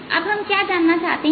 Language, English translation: Hindi, ok, what we want to find now